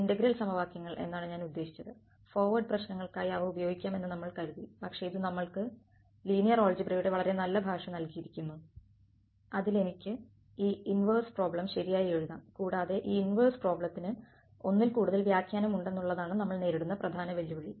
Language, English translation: Malayalam, I mean integral equations, we thought we could just use them for forward problems, but it is given us a very nice language of linear algebra in which I could write down this inverse problem right and the main challenges that we saw in the case of inverse problem was ill posed